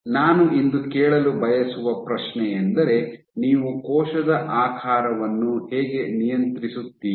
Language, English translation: Kannada, So, the question I want to raise todays, how do you go about controlling cell shape